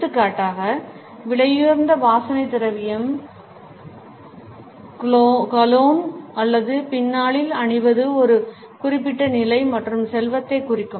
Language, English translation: Tamil, For example, wearing an expensive perfume, cologne or aftershave can signal a certain status and wealth